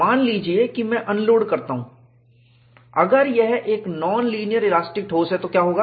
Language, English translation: Hindi, Suppose, I unload, what would happen, if it is a non linear elastic solid